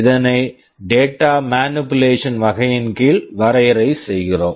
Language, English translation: Tamil, This also we are defining under the data manipulation category